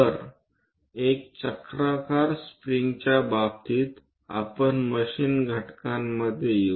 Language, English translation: Marathi, So, in terms of a spiral springs, we come across in machine elements